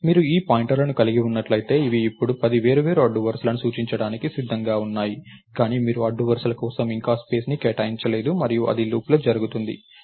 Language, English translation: Telugu, And once you have that you have all these pointers, which can which are ready to now point to the ten different rows, but you have not allocated space for the rows yet and that is done inside a loop